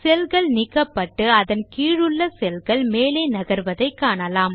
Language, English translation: Tamil, You see that the cell gets deleted and the cells below it shifts up